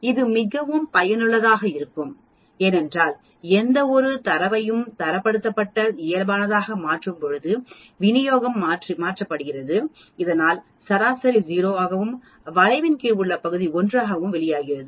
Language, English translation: Tamil, This is very useful because when we convert any data into a Standardized Normal Distribution we are shifting it so that the mean comes out to be 0 and the area under the curve comes out to be 1